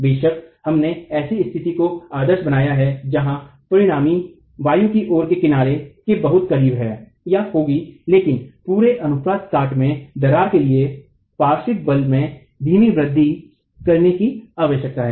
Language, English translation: Hindi, Of course we have idealized a situation where the resultant is very close to the levered edge but for the entire cross section to crack a slow increase in the lateral force is essential